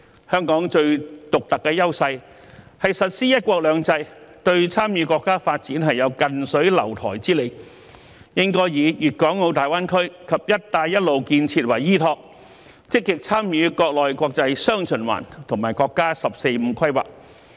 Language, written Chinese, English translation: Cantonese, 香港最獨特的優勢是實施"一國兩制"，對參與國家發展有近水樓台之利，因此香港應該以粵港澳大灣區及"一帶一路"建設為依託，積極參與國內國際"雙循環"和國家"十四五"規劃。, Hong Kongs unique advantages are the implementation of one country two systems and our proximity to the Mainland which provides convenience for us to participate in the development of our country . Therefore Hong Kong should leverage the development of the Guangdong - Hong Kong - Macao Greater Bay Area and the Belt and Road Initiative in a bid to participate actively in the development pattern featuring domestic and international dual circulation and the National 14th Five - Year Plan